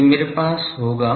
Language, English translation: Hindi, So, I will have